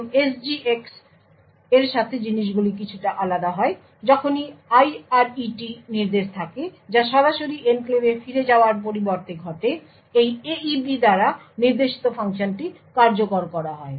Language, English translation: Bengali, Here with SGX things are slightly bit different whenever there is the IRET instruction that gets executed instead of going back directly to the enclave the function pointed to by this AEP is executed